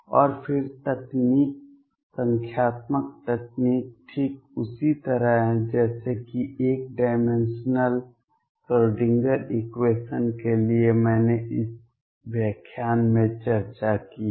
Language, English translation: Hindi, And then the technique the numerical technique therefore, is exactly the same as for the 1 dimensional Schrödinger equation that is what I have discussed in this lecture